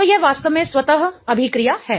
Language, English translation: Hindi, So, this is really a spontaneous reaction